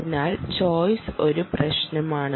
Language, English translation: Malayalam, so choice is a problem